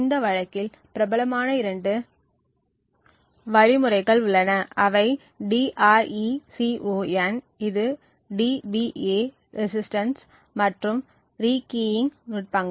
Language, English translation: Tamil, Two of the popular algorithms in this case is known as DRECON which stands for DPA resistance by construction and the rekeying techniques, thank you